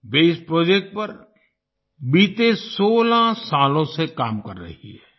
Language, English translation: Hindi, She has been working on this project for the last 16 years